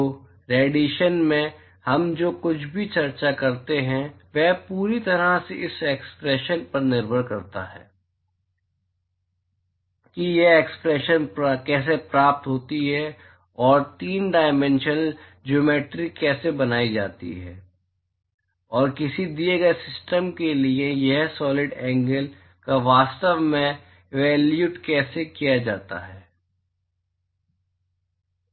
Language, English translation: Hindi, So, everything that we discuss in radiation completely hinges upon how this expression is derived and how the 3 dimensional geometry, is constructed and how this solid angle is actually evaluated for a given system ok